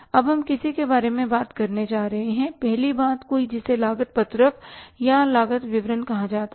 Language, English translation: Hindi, Now we are going to talk about the something first thing something which is called as cost sheet or the statement of the cost